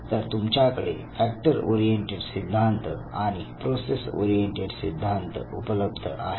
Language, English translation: Marathi, So, you have factor oriented theories and you have process oriented theories